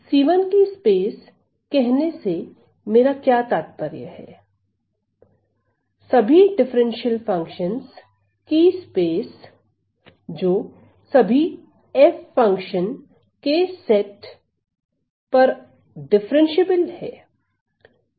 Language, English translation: Hindi, So, what do I mean by c 1 for space, the space of all differential functions differentiable functions to all set of functions f